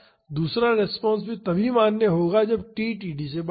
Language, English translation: Hindi, And, the second response is valid only when t is greater than td